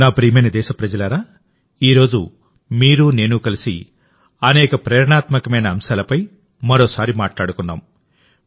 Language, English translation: Telugu, My dear countrymen, today you and I joined together and once again talked about many inspirational topics